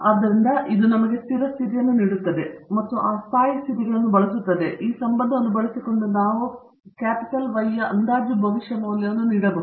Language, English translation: Kannada, So, that will give us the stationary conditions and then using those stationary conditions, we can give the estimated predicted value of Y by using this relationship